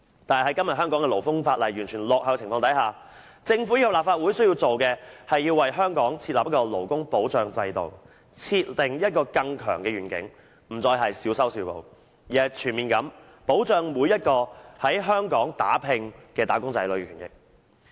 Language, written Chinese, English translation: Cantonese, 但是，在今天香港勞工法例完全落後的情況下，政府及立法會需要做的，是要為香港設立勞工保障制度，設定一個更強的願景，不再是小修小補，而是全面地保障每一個在香港打拼的"打工仔女"的權益。, However when the existing labour legislation in Hong Kong is entirely outdated what the Government and the Legislative Council need to do is to set up a system of labour protection for Hong Kong to provide a broader vision in that no more minor patch - up measures will be taken but comprehensive protection will be provided for the rights and interests of every wage earner who works hard in Hong Kong